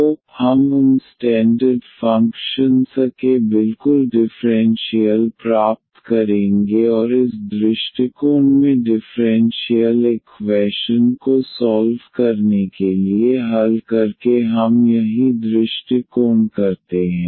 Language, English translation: Hindi, So, we will get exactly the differential of those standard functions and this is what we approach by solving the for solving the differential equation in this approach